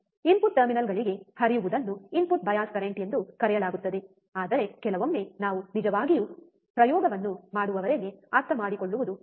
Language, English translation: Kannada, Flowing into the input terminals is called the input bias current, but sometimes it is difficult to understand until we really perform the experiment